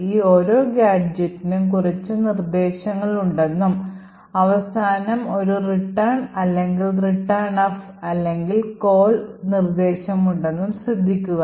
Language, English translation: Malayalam, Okay, so note that the each of these gadgets has a few instructions and then has a return or a returnf or call instruction at the end